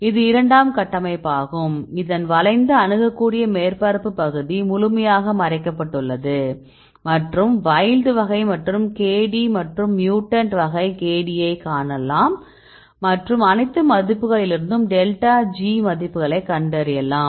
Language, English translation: Tamil, So, this is a secondary structure is looped, accessible surface area is completely buried and you can see the wild type K D and mutant K D and have the delta G values you can see all the values